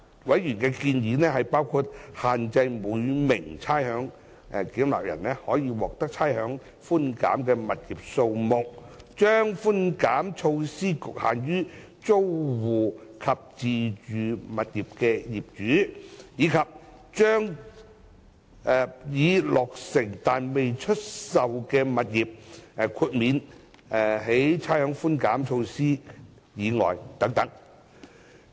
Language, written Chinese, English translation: Cantonese, 委員的建議包括限制每名差餉繳納人可獲差餉寬減的物業數目，將差餉寬減措施局限於租戶及自住物業的業主，以及將已落成但未出售的物業豁免於差餉寬減措施以外等。, The proposals raised by these members include limiting the number of rateable properties per ratepayer eligible for rates concession; confining the rates concession measure to tenants and owners of self - occupied properties; and excluding completed but unsold residential properties from the rates concession measure etc